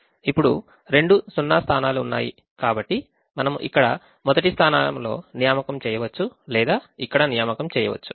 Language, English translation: Telugu, now there are two zero positions, so we can either make the assignment here in the first position or we can make the assignment here